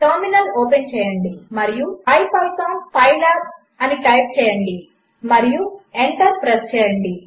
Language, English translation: Telugu, Open the terminal and type ipython pylab and hit enter